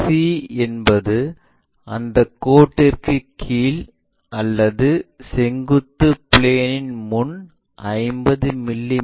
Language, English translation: Tamil, And c is 50 mm below that line or in front of vertical plane, locate 50 mm here this is c